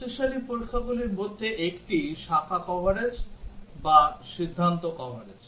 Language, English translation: Bengali, One of the stronger testing is the branch coverage or decision coverage